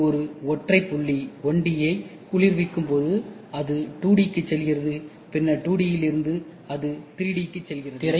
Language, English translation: Tamil, When it is cured a single dot 1D, so then it goes to 2D then from 2D, it goes to 3D